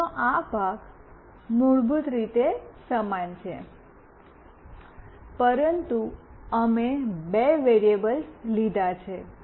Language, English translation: Gujarati, This part of the code is the same basically, but we have taken two variables